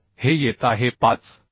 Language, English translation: Marathi, So this is coming 5